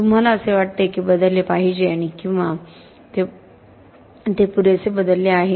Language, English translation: Marathi, Do you think this should change and or has it changed enough